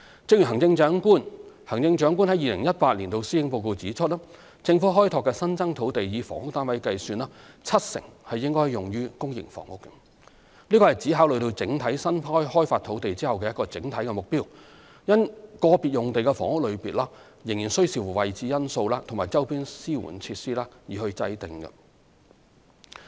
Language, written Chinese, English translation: Cantonese, 正如行政長官於2018年的施政報告指出，政府開拓的新增土地，以房屋單位計算，七成應用於公營房屋，此乃指考慮整體新開發土地後的一個整體目標，因個別用地的房屋類別仍需視乎位置因素及周邊支援設施等而定。, As pointed out in the Chief Executives 2018 Policy Address 70 % of housing units on the Governments newly developed land would be for public housing which is an overall target having holistically considered the newly developed land whereas the housing types of individual sites would depend on such factors as the location and availability of ancillary facilities in the vicinity